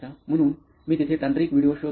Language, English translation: Marathi, So I search technical videos over there